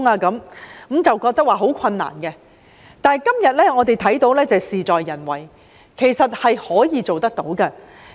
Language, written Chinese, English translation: Cantonese, 那時大家認為相當困難，但到了今天，我看到事在人為，其實是可以做到的。, At that time we considered it very difficult to do so but today as I can see success hinges on effort . In fact it is feasible